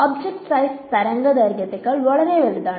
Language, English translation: Malayalam, So, there the wavelength is much smaller